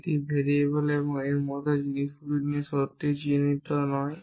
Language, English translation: Bengali, It not really worried about things like variables and so on